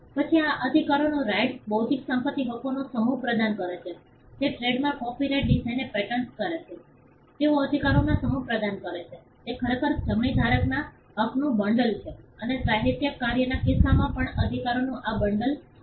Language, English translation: Gujarati, Then these rights offer a set of Rights intellectual property Rights be it patents trademarks copyright designs; they offer a set of rights it is actually a bundle of rights to the right holder and these bundle of rights also varies in the case of a literary work